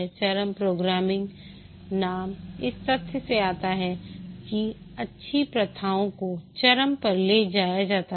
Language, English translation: Hindi, The name extreme programming comes from the fact that the good practices are taken to extreme